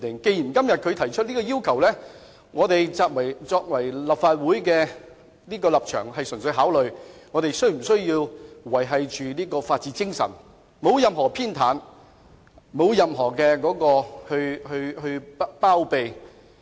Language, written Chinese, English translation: Cantonese, 既然律政司提出了這項要求，作為立法會議員，我們應考慮的是如何維護法治精神，而不會作出任何偏袒或包庇。, As DoJ has made such a request then we being Members of the Legislative Council should consider how to uphold the rule of law without being partial to or harbouring anyone